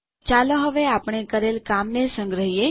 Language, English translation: Gujarati, Let us save our work now